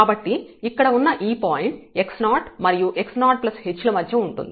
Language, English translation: Telugu, So, this is the point here between x 0 and x 0 plus h